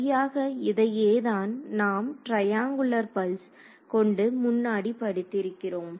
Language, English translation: Tamil, Exactly so, this is what we studied earlier in the case of triangular pulse right that is right